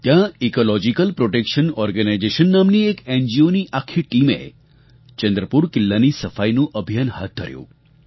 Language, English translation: Gujarati, An NGO called Ecological Protection Organization launched a cleanliness campaign in Chandrapur Fort